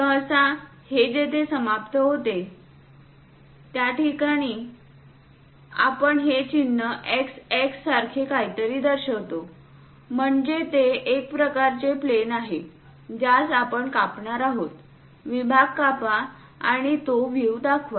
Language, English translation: Marathi, Usually, it ends, we show it something like a mark x x; that means it is a kind of plane which we are going to slice it, cut the section and show that view